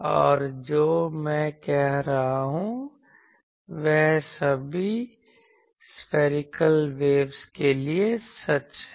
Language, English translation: Hindi, And what I am saying is true for all spherical waves